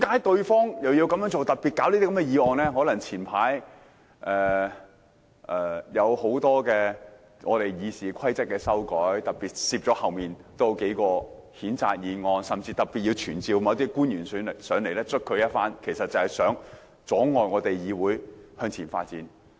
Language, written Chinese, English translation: Cantonese, 可能因為早陣子提出了很多有關《議事規則》的修訂，於是他們便特別在後面加插數項譴責議案，又要特別傳召某些官員前來玩弄一番，無非是想阻礙議會向前發展。, This is probably because numerous amendments to the Rules of Procedure were proposed earlier . As a result they particularly added several censure motions behind and also specially summoned certain officials to come here and play with them . What they wanted was simply to hinder the Council from developing forward